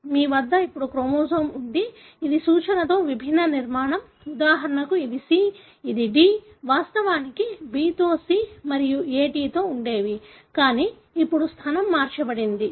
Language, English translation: Telugu, So you have a chromosome now which is different structure with reference to, for example this is C, this is D; originally B with C and A was with T, but now the position is altered